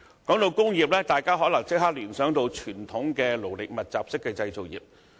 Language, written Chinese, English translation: Cantonese, 談到工業，大家可能立即聯想到傳統勞力密集式的製造業。, Talking about industries one may immediately think of the traditional labour - intensive manufacturing industry